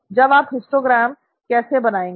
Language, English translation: Hindi, How do you do this histogram plot